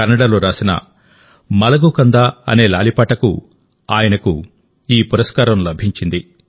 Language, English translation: Telugu, He received this award for his lullaby 'Malagu Kanda' written in Kannada